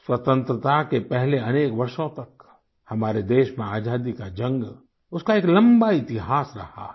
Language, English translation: Hindi, Prior to Independence, our country's war of independence has had a long history